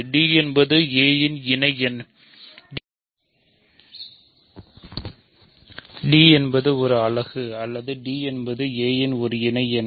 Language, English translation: Tamil, So, either we have that d is a unit or d is an associate of a, right